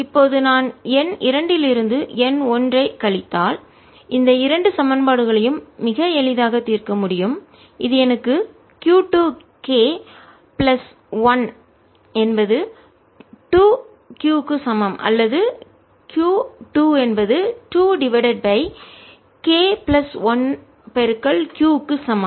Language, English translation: Tamil, this gives me q two, k plus one is equal to two q, or q two is equal to two over k plus one q, and from this i can calculate q one, which is going to be equal to q two minus q, which is two over k plus one minus one q, which is equal to one minus k over k plus one q, or minus k minus one over k plus one q